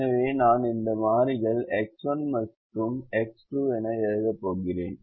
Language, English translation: Tamil, so i am going to write these variables as x one and x two